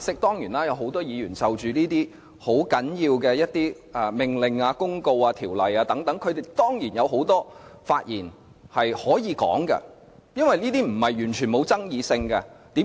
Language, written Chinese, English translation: Cantonese, 當然，有很多議員就着這些很重要的命令、公告、條例等，的確要作出很多發言，因為這些並非毫無爭議性。, Of course many Members do have to speak a lot on these very important orders notices ordinances and so on as these are not entirely uncontroversial